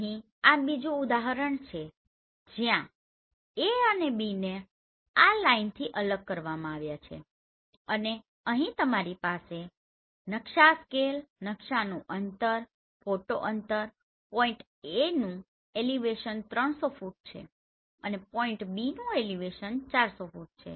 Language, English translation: Gujarati, Here this is another example where AB are separated with this line and here you have map scale, map distance, photo distance, elevation of point A that is 300 feet and elevation of point B that is 400 feet